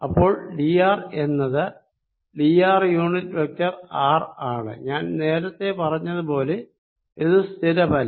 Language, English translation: Malayalam, r is going to be nothing but d of r unit vector r, and i said earlier, these are not fix